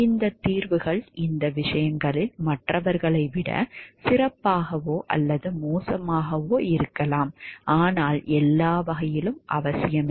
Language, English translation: Tamil, These solutions might be better or worse than others in some respects, but not necessarily in all respects